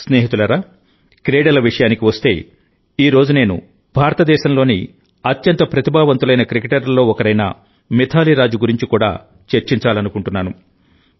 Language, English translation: Telugu, Friends, when it comes to sports, today I would also like to discuss Mithali Raj, one of the most talented cricketers in India